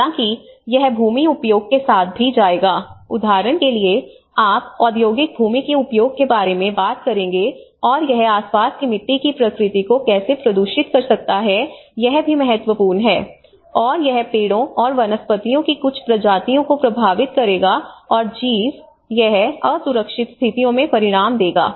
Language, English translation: Hindi, However, not only that it will also go with the land use like imagine you would talk about a industrial land use and how it can pollute the surrounding soil nature, that is also an important, and it will affect certain species of trees and flora and fauna, this how the result into the unsafe conditions